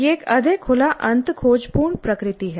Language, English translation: Hindi, So, it is a more open ended exploratory nature